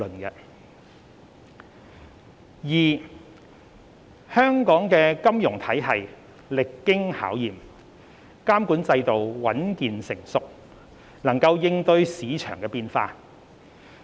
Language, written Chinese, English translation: Cantonese, 二香港的金融體系歷經考驗，監管制度穩健成熟，能應對市場變化。, 2 Hong Kongs financial system has withstood crises one after another . With our resilient regulatory regime Hong Kong can cope with the ever - changing market